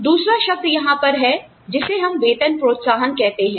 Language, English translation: Hindi, The second term here is called pay incentives